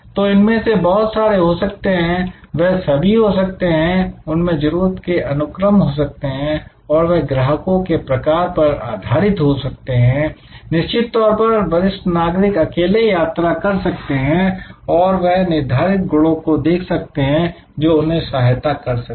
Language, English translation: Hindi, So, there are a whole lot of them, they all can be there are, there also there is a hierarchy of needs, that will be met and depending on the type of customers; obviously a senior citizen travels will be alone looking for that determinant attribute, which enables him or her